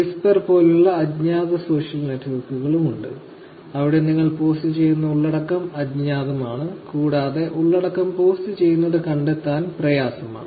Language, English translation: Malayalam, So, Whisper is one of the anonymous social networks where the content that is getting uploaded is actually anonymous, it is hard to find out who has posted it